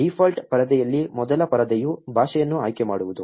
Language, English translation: Kannada, On the default screen, the first screen is to select the language